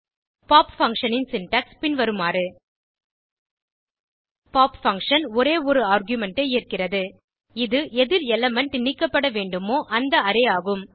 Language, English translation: Tamil, The syntax of pop function is as follows pop function takes only one argument It is the Array from which an element needs to be removed